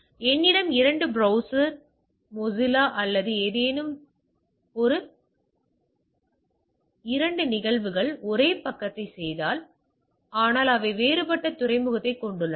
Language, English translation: Tamil, So, even if I have two browser say Mozilla or something, two instances do the same page if the things, but they have a different port right going out the thing